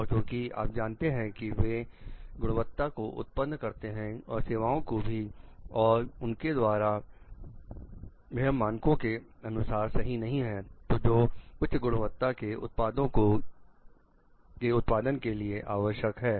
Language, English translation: Hindi, And like because, you know they cultivate the quality of goods and services that they are giving is not after the mark as for the standards, which is required for the productive be of high quality product